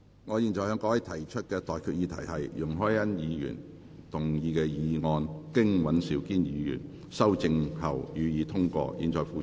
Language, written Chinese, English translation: Cantonese, 我現在向各位提出的待決議題是：容海恩議員動議的議案，經尹兆堅議員修正後，予以通過。, I now put the question to you and that is That the motion moved by Ms YUNG Hoi - yan as amended by Mr Andrew WAN be passed